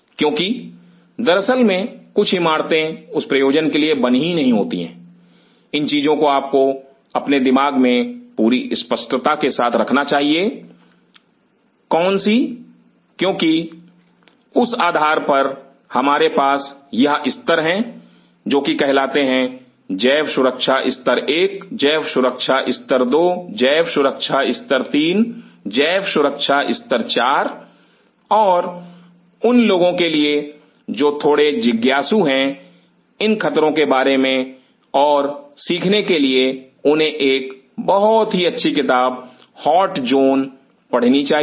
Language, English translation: Hindi, Because certain buildings are not even made for that purpose as a matter of fact so these things you should keep very clear in your mind what level because based on that we have these levels called biosafety levels 1, biosafety level 2, biosafety level 3, biosafety level 4 and for those who are little inquisitive to learn about much of these dangers should read a very nice book the hot zone